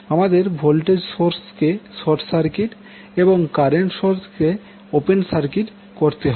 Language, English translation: Bengali, You will short circuit the voltage source, and open circuit the current source